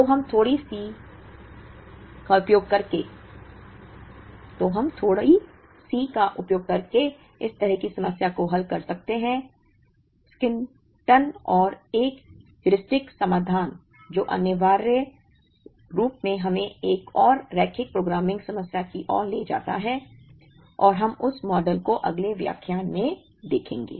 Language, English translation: Hindi, So, we solve such a problem using a slight approximation and a heuristic solution, which essentially leads us to another linear programming problem, and we will see that model in the next lecture